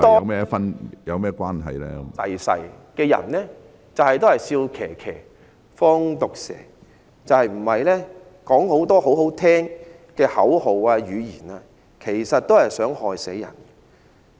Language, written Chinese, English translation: Cantonese, 歷史上很多人都是"笑騎騎，放毒蛇"，說很多動聽的口號，其實都是想害死人。, There were many people in history who did evil things wearing a smiling face . Many people said pleasing words but they meant to harm and kill